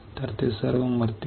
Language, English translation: Marathi, So, they all will die